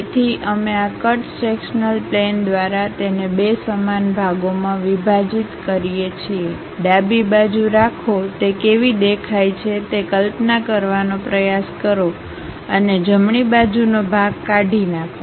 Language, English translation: Gujarati, So, we split this into two equal parts through this cut sectional plane, keep the left part, try to visualize how it looks like and remove the right side part